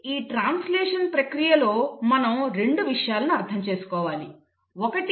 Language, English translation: Telugu, So we need to understand 2 things in this process of translation, 1